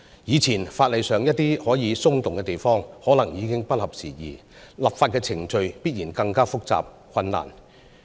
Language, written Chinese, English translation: Cantonese, 以前法例上一些可以從寬處理的地方，可能已經不合時宜，立法的程序必然更加複雜和困難。, In the past some areas could be handled leniently in the legislation but it may no longer be appropriate now . The legislative procedures will definitely become more complicated and difficult